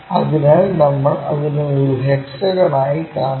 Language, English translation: Malayalam, So, that one what we are seeing it as a hexagon